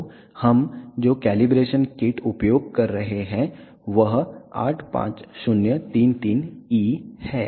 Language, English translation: Hindi, So, the calibration kit that we are using is 85033E